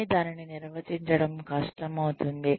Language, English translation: Telugu, But, it becomes difficult to define that